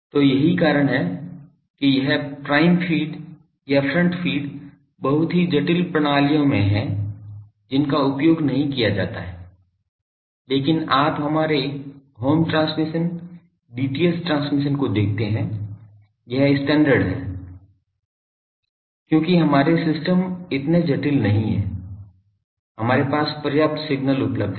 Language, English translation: Hindi, So, that is why this prime feed or this front feed is in the very sophisticated systems they are not used, but you see our home transmission, DTH transmission, this is the standard thing because our systems are not so, sophisticated we have enough signal available